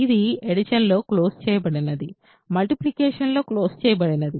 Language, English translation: Telugu, So, this is closed under addition; closed under addition; closed under multiplication